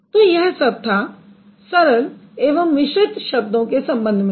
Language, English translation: Hindi, So, that is about the simple versus complex word